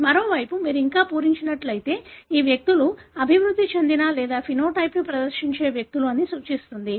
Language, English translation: Telugu, But on the other hand if you have filled like this, that represent that these are the individuals who developed or who display the phenotype